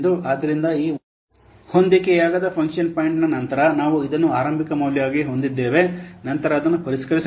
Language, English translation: Kannada, So this is the unadjusted function point after this on adjusted function point we have to this is the initial value then that can be what then that can be refined